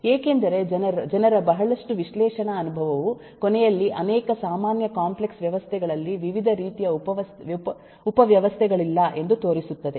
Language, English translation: Kannada, because uh, a lot of analysis experience of people show that at the end not too many different kinds of subsystems amongst many of the common complex systems